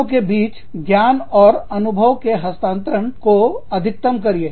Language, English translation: Hindi, Maximizing knowledge and experience transfer, between locations